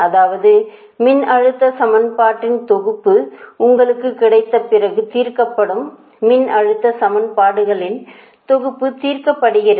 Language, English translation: Tamil, that means then set of voltage equation are solved